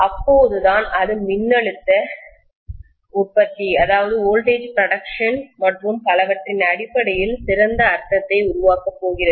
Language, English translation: Tamil, Only then it is going to make better sense in terms of voltage production and so on